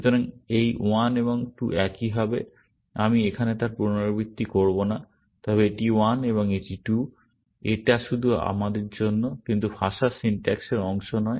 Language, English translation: Bengali, So, this 1 and 2 will be the same; I will not repeat that here, but this is 1 and this is 2; it is just for our sake, but not part of the language syntax